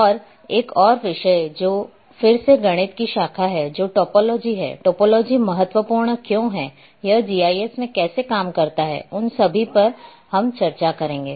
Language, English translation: Hindi, And one more topic which is again branch of mathematics which is topology; why it is important, how it works in GIS, all those things we will discuss